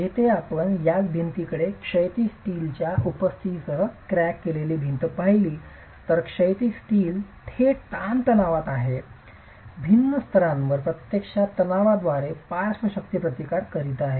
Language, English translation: Marathi, Whereas if you look at the same wall, the cracked wall with the presence of horizontal steel, the horizontal steel is in direct tension, is at different layers actually resisting the lateral forces by tension